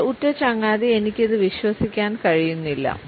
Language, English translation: Malayalam, My best friend I cannot believe this